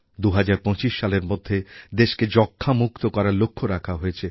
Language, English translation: Bengali, A target has been fixed to make the country TBfree by 2025